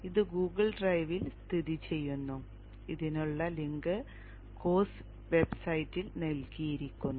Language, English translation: Malayalam, This is located in Google Drive and the link for this is given in the course website